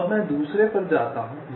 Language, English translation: Hindi, so now i move on to the second, second, one